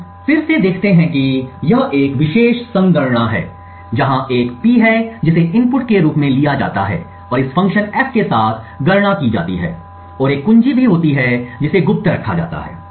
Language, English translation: Hindi, What we look at again is this particular computation, where there is a P which is taken as input and computed upon with this function F and there is also a key which is kept secret